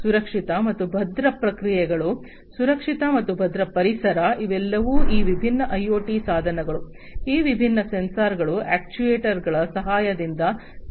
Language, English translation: Kannada, Safe and secure processes, safe and secure environment, these are all going to be performed with the help of these different IoT devices, these different sensors actuators etcetera